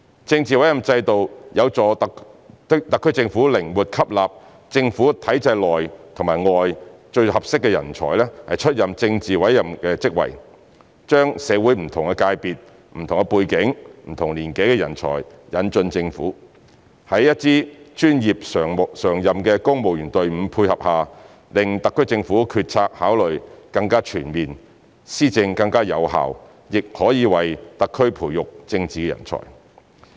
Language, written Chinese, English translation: Cantonese, 政治委任制度有助特區政府靈活吸納政府體制內、外最適合的人才出任政治委任職位，將社會不同界別、不同背景、不同年紀的人才引進政府，在一支專業常任的公務員隊伍配合下，令特區政府決策考慮更全面，施政更有效，亦可為特區培育政治人才。, The political appointment system is conducive to the recruitment of the most suitable talents from within and outside the government system to take up politically appointed posts and the introduction of talents who have different backgrounds and at different ages from different sectors of the community into the Government . With the cooperation of a professional and permanent civil service team the SAR may have a more comprehensive policy consideration to facilitate the governance in a more effective way . Besides it may also help the Government to nurture political talents